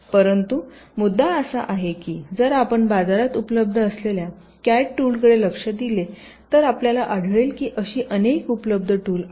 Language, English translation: Marathi, but the issue is that if you look in to the available cad tools that there in the market, we will find that there are many such available tools